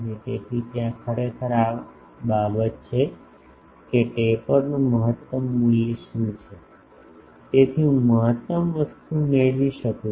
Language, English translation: Gujarati, So, there actually this is the thing that what is the optimum value of the taper so, that I can get maximum thing